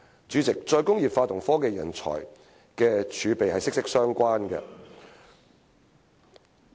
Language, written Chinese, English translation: Cantonese, 主席，"再工業化"與科技人才的儲備息息相關。, President re - industrialization is closely related to the pool of technology talent